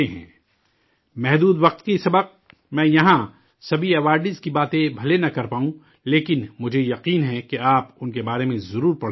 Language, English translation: Urdu, Due to the limitation of time, I may not be able to talk about all the awardees here, but I am sure that you will definitely read about them